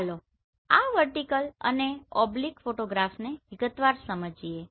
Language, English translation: Gujarati, Let us understand in detail these vertical and oblique photographs